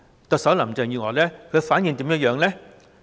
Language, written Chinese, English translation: Cantonese, 特首林鄭月娥對此的反應為何呢？, What is the reaction of the Chief Executive Carrie LAM to this?